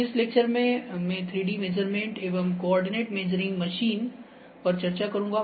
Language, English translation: Hindi, In this lecture, I will discuss 3D measurements and coordinate measuring machine